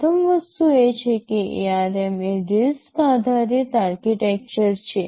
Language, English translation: Gujarati, So, ARM is based on the RISC architecture